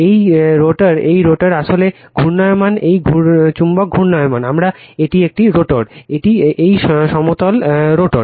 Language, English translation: Bengali, This is this rotor this rotor actually rotating this magnet is rotating, we call this a rotor, this plane is rotor right